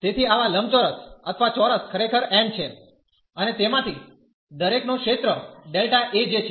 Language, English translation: Gujarati, So, such rectangles or the squares are actually n and each of them has the area delta A j